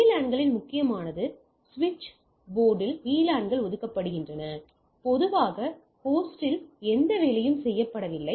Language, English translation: Tamil, So, important on VLANs, VLANs are assigned on switch port there is no assignment done on the host that is usually not done